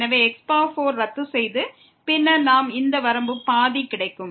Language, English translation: Tamil, So, 4 get cancel and then we get this limit half